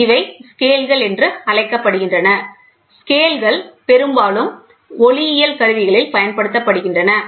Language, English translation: Tamil, These are called the scales; the scales are often used in optical instruments